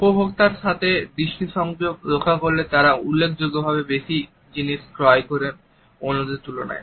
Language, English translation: Bengali, Making eye contact with consumers are purchased significantly more than those that do not